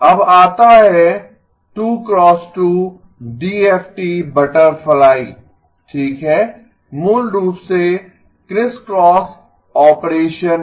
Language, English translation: Hindi, Now comes the 2 x 2 DFT butterfly okay basically the crisscross operation